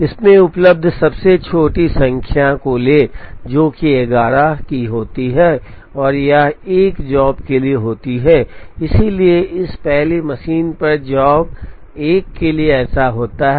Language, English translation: Hindi, Take the smallest number available in this, which happens to be 11 and it happens for job 1, therefore come it happens to be for job 1 on this first machine